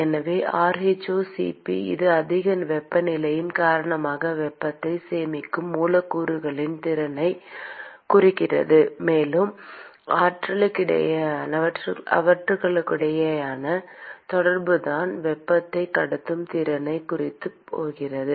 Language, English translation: Tamil, So, the rho*Cp it signifies the ability of the molecules to store heat because of higher temperature; and the interaction between them is the one which is going to signify the ability to transport the heat